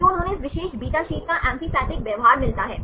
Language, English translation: Hindi, So, they get the amphipathic behavior of this particular beta sheet